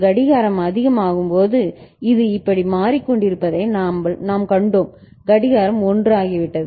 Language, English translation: Tamil, We have seen that when clock becomes high it is changing like this clock has become 1 right